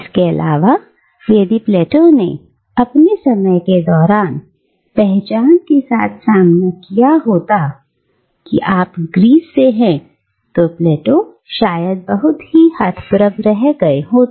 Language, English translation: Hindi, But, if Plato, during his time, would have been confronted with this identity, that you are from Greece, Plato would probably have been very bewildered, to say the least